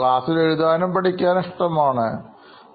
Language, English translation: Malayalam, Likes writing and likes to be in class and learn, yeah